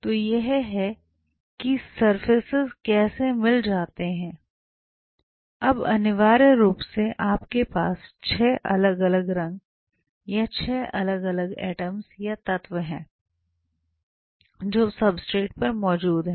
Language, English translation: Hindi, So, this is how the surfaces mix up, now essentially speaking you have 6 different colours or 6 different atoms or elements which are present on the substrate